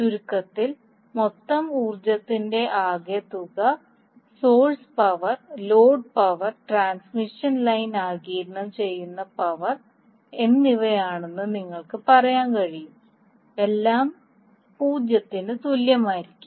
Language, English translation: Malayalam, So in a nutshell, what you can say that sum of the total power that is source power plus load power plus power absorbed by the transmission line will be equal to 0